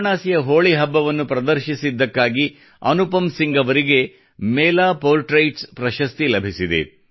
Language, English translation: Kannada, Anupam Singh ji received the Mela Portraits Award for showcasing Holi at Varanasi